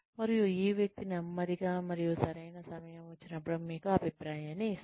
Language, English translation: Telugu, And, this person slowly, and when the time is right, gives you feedback